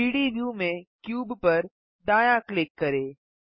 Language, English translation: Hindi, Right click the cube in the 3D view